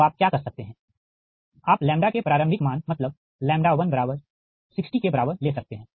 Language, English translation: Hindi, so what you can do is you take lambda is equal to is a initial value at it, sixty, that is lambda one